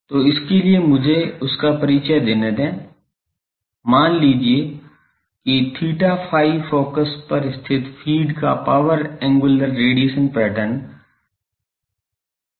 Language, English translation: Hindi, So, for that let me introduce that, suppose g theta phi is the power angular radiation pattern of the feed located at the focus